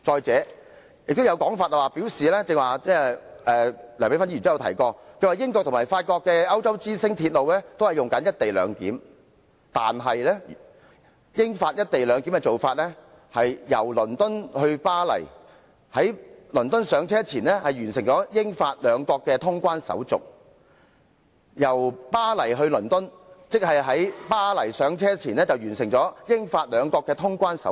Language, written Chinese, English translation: Cantonese, 此外，亦有人——梁美芬議員剛才也曾提及連接英國及法國的鐵路"歐洲之星"也採取"一地兩檢"的安排——但其做法是，由倫敦前往巴黎時，乘客須在倫敦登車前完成了英法兩國的通關手續；由巴黎前往倫敦時，則須在巴黎登車前完成了英法兩國的通關手續。, Besides some people―Dr Priscilla LEUNG has also mentioned just now that co - location arrangement is also adopted by Eurostar the railway linking up Britain and France―but in that case passengers travelling from London to Paris must complete all clearance procedures in London before they can board the train while those travelling from Paris to London must complete all clearance procedures in Paris before boarding the train